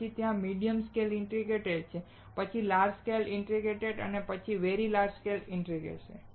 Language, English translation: Gujarati, Then there is medium scale integration, then large scale integration and then very large scale integration